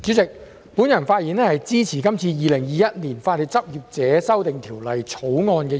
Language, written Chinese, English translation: Cantonese, 代理主席，我發言支持《2021年法律執業者條例草案》的二讀。, Deputy President I speak in support of the Second Reading of the Legal Practitioners Amendment Bill 2021 the Bill